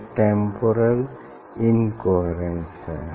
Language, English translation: Hindi, what is temporal coherence